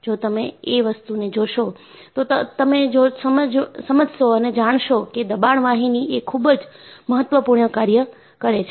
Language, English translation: Gujarati, And, if you look at, you know, pressure vessels are very important